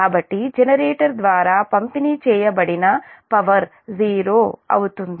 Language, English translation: Telugu, so power delivered by the generator will be zero then that